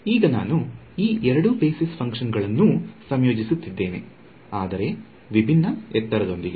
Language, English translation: Kannada, Now, I am combining these two basis functions, but with a different height